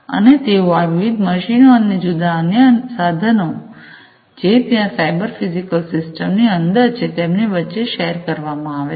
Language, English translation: Gujarati, And they are going to be shared, seamlessly between these different machines and machines, and the different other instruments, that are there in the cyber physical system